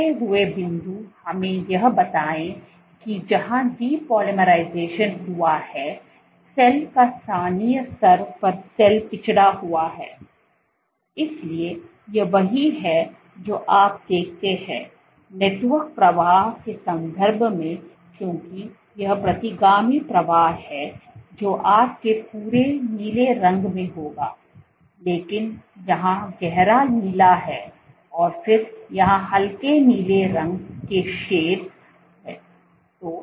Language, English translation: Hindi, Remaining points, let us say where depolymerization has happened the cell has the locally the cell has moved backward, so that is what you see and for in terms of network flow because it is retrograde flow you will have blue throughout, but deep blue here and then lighter blue shades here